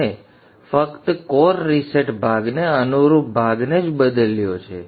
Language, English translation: Gujarati, We have changed only the portion corresponding to core reset part